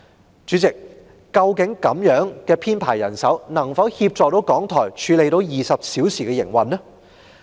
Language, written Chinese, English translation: Cantonese, 代理主席，這樣的人手編制究竟能否協助港台應付24小時的營運呢？, Deputy Chairman can such a staff establishment actually help RTHK deal with the round - the - clock operation?